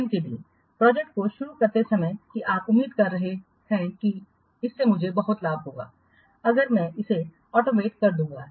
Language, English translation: Hindi, For example, see, while starting the project, you are expecting that this much benefits I will get if I will what automate it